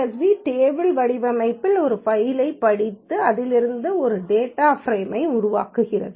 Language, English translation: Tamil, Read dot CSV reads a file in the table format and creates a data frame from it